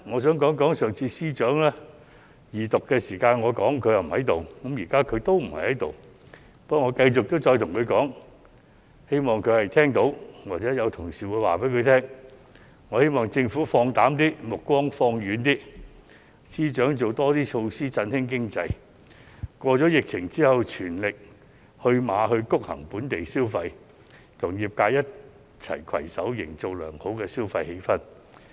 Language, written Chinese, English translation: Cantonese, 上次司長在我二讀發言時不在席，現在他同樣不在席，不過，我要繼續向他說，希望他聽到，或者有同事向他轉告，我希望政府放膽一點，把目光放遠一點，司長多推出措施振興經濟，在疫情過後，全力催谷本地消費，與業界攜手營造良好的消費氣氛。, When I spoke during the resumption of the Second Reading debate the Financial Secretary was not present in the Chamber and now he is also absent here . However I wish to keep on telling him in the hope that he can hear my advice or his colleagues will relay my advice to him that the Government should be bolder and more forward looking while the Financial Secretary should roll out more measures to revitalize the economy . After the epidemic is gone they should boost local consumption with all their efforts and create desirable consumption atmosphere with the sectors